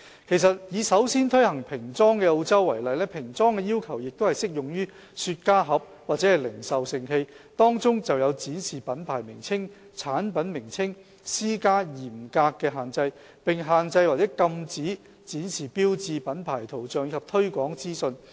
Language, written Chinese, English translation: Cantonese, 其實，以首先推行平裝的澳洲為例，平裝的要求亦適用於雪茄盒或零售盛器，當中有就展示品牌名稱和產品名稱施加嚴格的限制，並限制或禁止展示標誌、品牌圖像及推廣資訊。, In fact we may take Australia the first country to introduce plain packaging as an example . The plain packaging requirement is applicable to cigar boxes or retail containers . There are stringent restrictions on the display of brand names and product names and the use of logos brand images and promotional information is restricted or prohibited